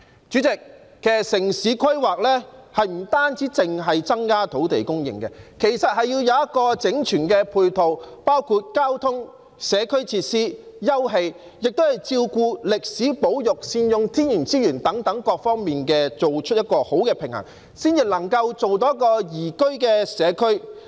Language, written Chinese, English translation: Cantonese, 主席，城市規劃不單是增加土地供應，還要有整全的配套，包括交通、社區設施、休憩設施，亦要照顧歷史保育和善用天然資源等各方面，必須達致平衡，才能建立宜居的社區。, President urban planning is not only about increasing land supply but there must also be a full range of support in respect of transport community facilities leisure facilities and it is necessary to have regard to heritage conservation and make good use of natural resources and so on . It is imperative to strike a balance in order to build a liveable community